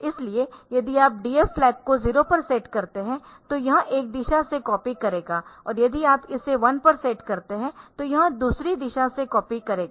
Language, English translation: Hindi, So, da flag if you set it to 0 then it will be copying in one direction and if you set it to one to be copying in the other direction